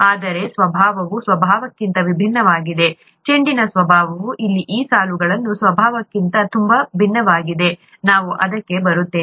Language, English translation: Kannada, It so happens that the nature of this is very different from the nature, the nature of the ball is very different from the nature of these lines here, we will come to that